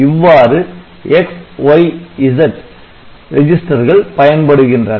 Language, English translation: Tamil, So, we have got this X Y or Z register working like that